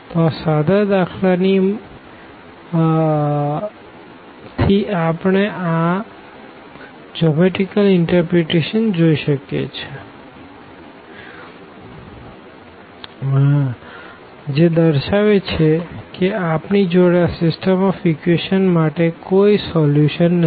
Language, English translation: Gujarati, So, with the help of this very simple example the geometrical interpretation itself says that we do not have a solution of this system of equations